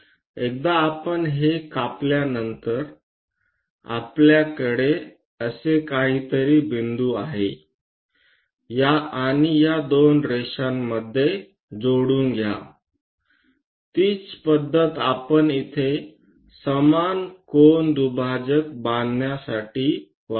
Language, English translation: Marathi, So, once we cut that, we have a point something like that and join these two lines; the same method we will use it to construct equal angle bisector here